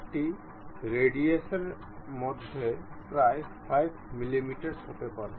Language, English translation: Bengali, It can be some 5 millimeters radius, ok